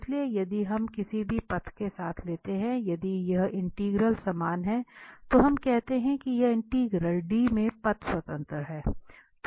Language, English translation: Hindi, So, if any part we take along any path if this integral is same, then we call that this integral is Path Independent in D